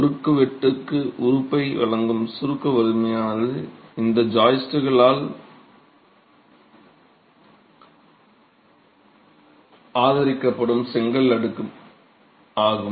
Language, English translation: Tamil, The compression strength providing element to the cross section is the brick layer that is supported by these joists